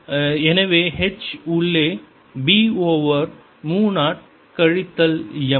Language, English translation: Tamil, so h inside is b over mu zero minus m